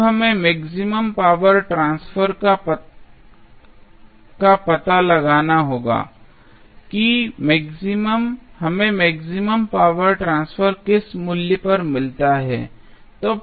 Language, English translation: Hindi, Now, we have to find the maximum power transfer at what value of Rl we get the maximum power transfer